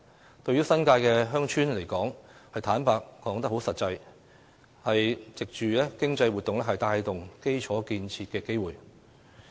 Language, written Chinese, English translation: Cantonese, 坦白說，對新界鄉村而言，這實際上是藉着經濟活動帶動基礎建設的機會。, To be honest for villages in the New Territories this is in fact an opportunity to drive infrastructural development through economic activities